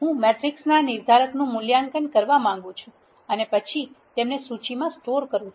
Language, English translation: Gujarati, I want to evaluate the determinant of the matrices and then store them in a list